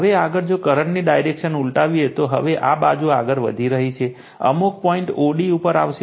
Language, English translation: Gujarati, Now, further if you reverse the direction of the current right, now this side you are moving, you will come to some point o d right that this point o d